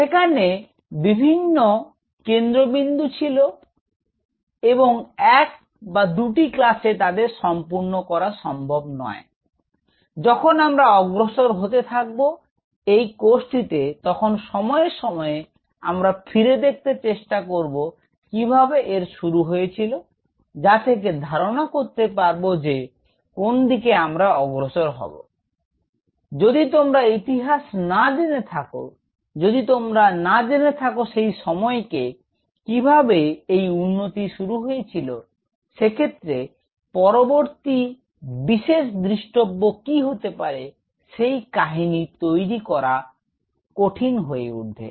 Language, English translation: Bengali, So, there were points and it is not that in just 1 or 2 classes, we are going to finish this off as we will be proceeding through the course time to time, we will try to go back and see you know where it all started that will kind of give me an idea that where to go, if you do not know the history; if you do not know the time; how it is it has been progressing it is very tough to build up a story what will be the next landmark thing which is going to come up there